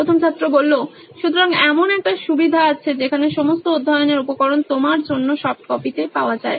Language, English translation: Bengali, So is there a provision where all the study materials are available on a softcopy to you